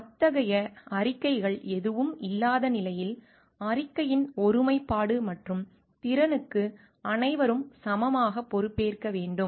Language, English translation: Tamil, In absence of any such statements all are equally accountable for the integrity and competence of the research reported